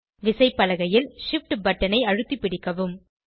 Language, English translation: Tamil, Hold the Shift button on the keyboard